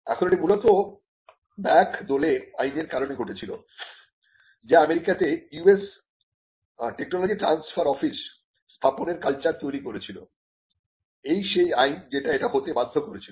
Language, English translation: Bengali, Now, this was largely due to a legislation called the Bayh Dole Act which created the culture of setting up tech transfer offices in United States, so, the this was the Act that necessitated it